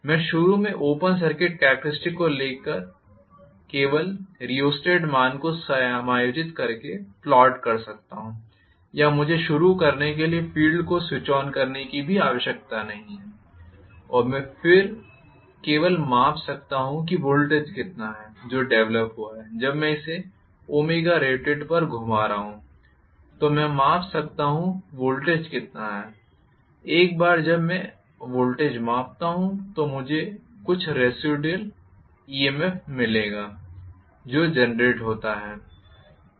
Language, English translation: Hindi, I can initially plot the open circuit characteristics just by adjusting the rheostat value or I can I need, I need not even switch on the field to start with and then I can just measure what is the voltage that is developed when I am rotating this at Omega rated I can measure how much is the voltage